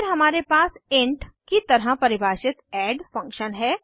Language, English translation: Hindi, Then we have add function defined as int